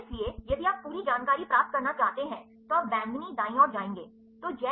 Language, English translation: Hindi, So, if you want to get the complete information you will go to the purple right